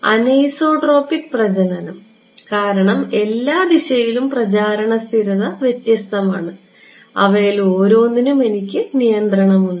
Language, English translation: Malayalam, Anisotropic propagation because propagation constant is different in every direction and; I have control over each one of those